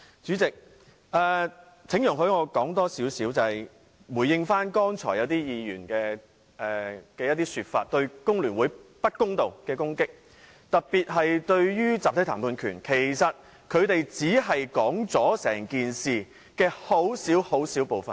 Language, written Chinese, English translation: Cantonese, 主席，請容許我多說一些，以回應剛才一些議員對香港工會聯合會不公道的攻擊，特別是關於集體談判權一事，其實他們只是說出整件事的很小部分。, President please allow me to speak a little more in response to some Members unfair criticisms against The Hong Kong Federation of Trade Unions FTU especially on the issue concerning the collective bargaining right . They have actually told a small part of the whole story